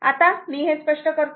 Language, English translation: Marathi, Now, let me clear it